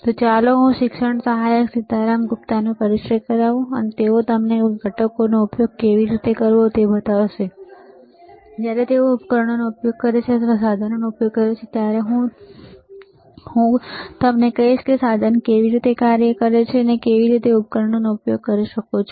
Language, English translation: Gujarati, So, let me introduce the teaching assistant, Sitaram Gupta, he will be showing you how to use the components, and as and when he is using the devices or using the equipment, I will tell you how the equipment works how you can use the devices, all right